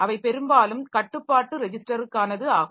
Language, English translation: Tamil, They are mostly for control trans control register and all